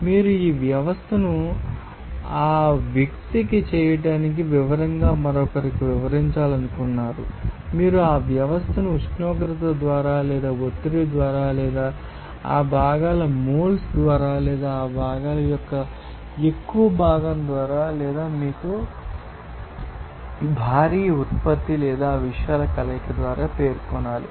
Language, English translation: Telugu, And you wish to describe this system to someone else that is in detail for that person to duplicate it exactly what must you specify there you have to specify that system either by temperature or by pressure or by moles of that components or by more fraction of that components or by mass production of that components or combination of these things